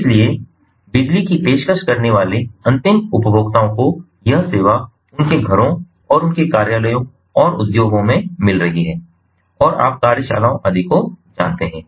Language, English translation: Hindi, n consumers are getting this service in their homes and their offices and in the industries, and you know workshops and so on and so forth